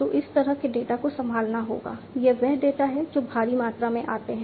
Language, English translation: Hindi, So, these kind of data will have to be handled; you know these are data which come in huge volumes